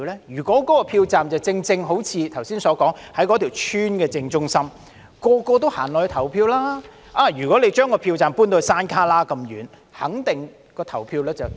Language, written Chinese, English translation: Cantonese, 如果一個票站的位置，正正好像剛才所說的，在一個屋邨的正中央，人人也會前往投票，如果把票站搬至山旯旮那麼遠，投票率肯定低。, If a polling station is as I have said just now located in the centre of a housing estate everyone will come out to vote but if it is relocated to a remote location the voter turnout rate will certainly be low